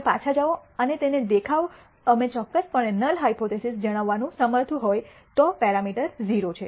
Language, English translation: Gujarati, If you go back and look at it we are able to state the null hypothesis precisely, the parameter value is 0